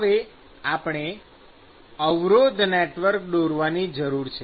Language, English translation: Gujarati, So, now, I need to draw the resistance network